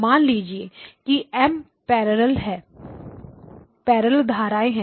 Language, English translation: Hindi, Let us say that there are M parallel streams